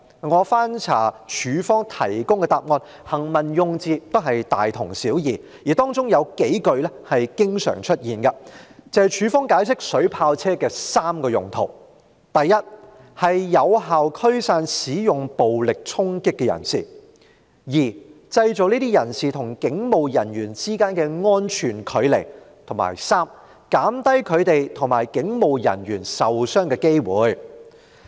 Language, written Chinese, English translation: Cantonese, 我翻查過警方提供的答覆，當中的行文用字也是大同小異，而有數句經常出現，就是警方解釋水炮車的3個用途：第一，是有效驅散使用暴力衝擊的人士；第二，製造這些人士與警務人員之間的安全距離；及第三，減低他們與警務人員受傷的機會。, I have reviewed the replies given by the Police the wording of which was pretty much the same . A few sentences are used repeatedly to spell out the three uses of water cannon vehicles as explained by the Police first they can effectively disperse persons who stage violent charging acts; second they can create a safe distance between those persons and police officers; and third they can reduce the chance of injury to them and police officers